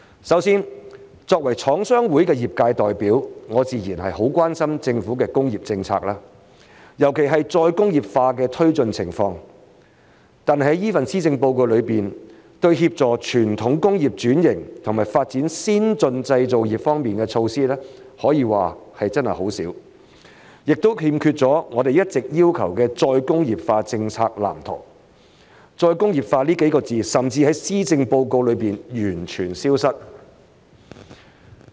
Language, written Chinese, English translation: Cantonese, 首先，作為廠商會的業界代表，我自然很關心政府的工業政策，尤其是再工業化的推進情況，但是這份施政報告中對於協助傳統工業轉型和發展先進製造業方面的措施，可說真的很少，亦欠缺了我們一直要求的再工業化政策藍圖，"再工業化"這幾個字甚至在施政報告中完全消失。, To start with as an industry representative from The Chinese Manufacturers Association of Hong Kong CMA I am naturally very concerned about the Governments industrial policy and especially the progress of re - industrialization . However this Policy Address contains quite arguably very few measures to assist in the transformation of traditional industries and development of advanced manufacturing industries . It also lacks a blueprint of re - industrialization policies which we have long been asking for and the word re - industrialization has even completely vanished from the Policy Address